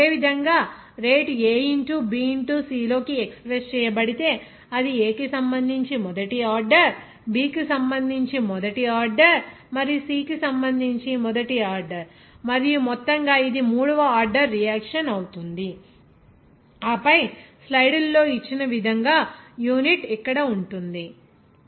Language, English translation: Telugu, Similarly, rate if it is expressed as k into A into B into C, then it will be first order with respect to A, first order with respect to B, and first order with respect to C, and overall it will be third order reaction and then unit will be like here as given in the slide